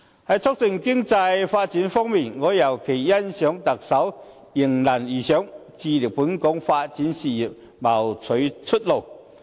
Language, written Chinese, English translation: Cantonese, 在促進經濟發展方面，我尤其欣賞特首能迎難而上，致力為本港的發展事業謀取出路。, In the promotion of economic development I particularly appreciate the Chief Executives efforts in meeting the challenge and striving for more opportunities for the development of Hong Kong